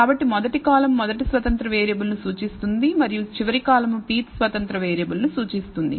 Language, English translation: Telugu, So, first column represents the first independent variable and the last column represents the pth independent variable